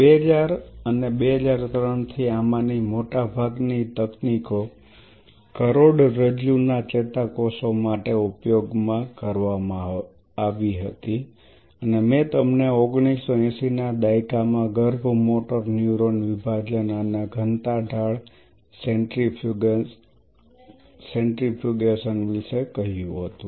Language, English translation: Gujarati, Then between 2000 and 2003 much of these technologies were translated for spinal cord neurons and I told you around 1980s embryonic motor neuron separation followed density gradient centrifugation